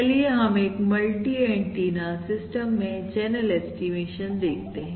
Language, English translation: Hindi, so let us look at channel estimation in the multi antenna system